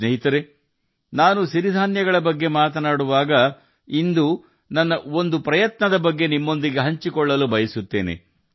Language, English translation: Kannada, Friends, when I talk about coarse grains, I want to share one of my efforts with you today